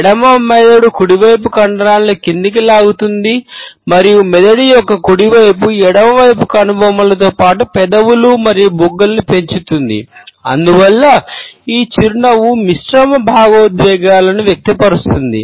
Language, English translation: Telugu, The left brain pulls the muscles downwards and the right side of the brain raises the left hand side eyebrows as well as the lips and cheeks and therefore, this smile expresses mixed emotions